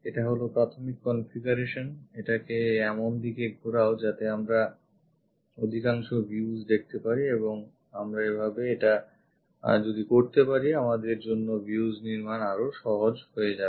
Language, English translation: Bengali, This is the initial configuration rotate it such a way that maximum views we can see and constructing views also becomes easy for us if we can do it in that way